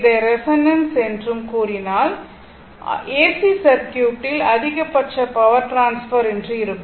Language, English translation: Tamil, And what you call that your resonance then, your maximum power transfer in AC circuit; those things